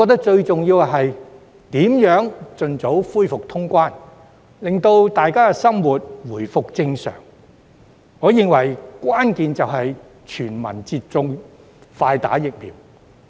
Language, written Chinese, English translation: Cantonese, 最重要的是，盡早恢復通關，讓市民生活回復正常，而關鍵是全民接種，快打疫苗。, The most important thing is to resume cross - boundary travel as soon as possible so that members of the public can return to normal life . The key is to have early vaccination for all